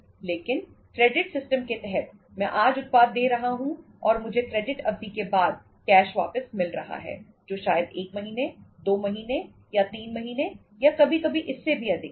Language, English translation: Hindi, But under the credit system, I am passing on the product today and I am getting the cash back after the credit period which may be 1 month, 2 month, or 3 months or sometimes it is more than that